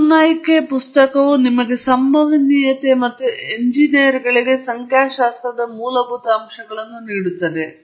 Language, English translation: Kannada, The book by Ogunnaike gives you the fundamentals of probability and statistics for engineers